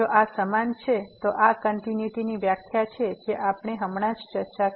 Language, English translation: Gujarati, If this is equal, then this is the definition of the continuity we have just discussed